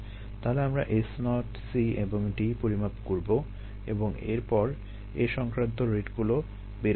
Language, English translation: Bengali, so we are going to measure s naught, c and d and then get the rated that are involved here